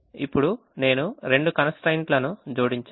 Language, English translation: Telugu, now i have to add the constraints